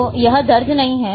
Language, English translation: Hindi, So, that is not recorded